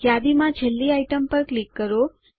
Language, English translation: Gujarati, Click on the last item in the list